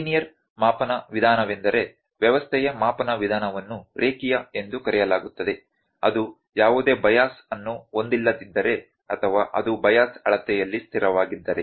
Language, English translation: Kannada, Linear measurement method is the measurement method of system is called linear, if it has no bias or if it is bias is constant in the measurand